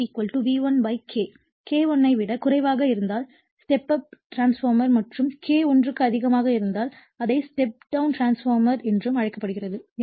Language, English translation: Tamil, Therefore, V2 = V1 / K, if K less than 1 then this call step up transformer and if K your greater than one it is called step down transformer